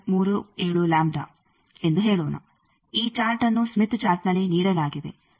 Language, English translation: Kannada, 37 lambda this chart is given on the Smith Chart